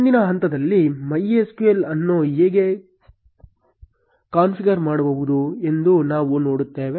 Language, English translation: Kannada, In the next step, we will see how to configure MySQL